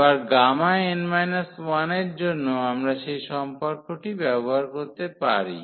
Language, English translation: Bengali, Again for gamma n minus 1 we can use that relation